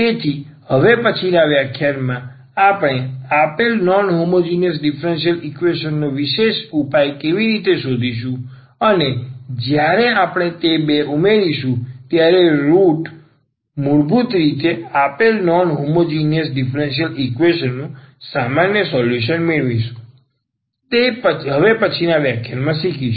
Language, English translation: Gujarati, So, in the next lecture what we will learn now how to find a particular solution of the given non homogeneous differential equation and when we add that two we will get basically the general solution of the given non homogeneous differential equation